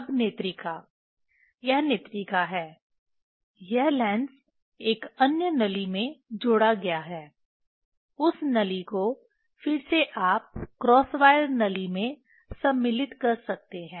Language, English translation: Hindi, Now, eyepiece this is the eyepiece, it is this lens is fixed in another tube, that tube again you can insert into the cross wire tube